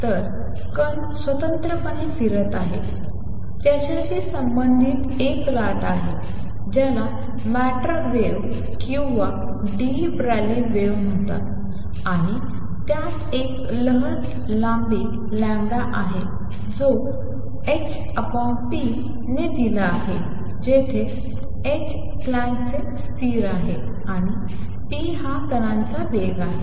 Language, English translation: Marathi, So, particle is moving independently it has a wave associated which is known as matter wave or de Broglie wave, and it has a wave length lambda which has given by h by p where h is the Planck’s constant, and p is the momentum of the particle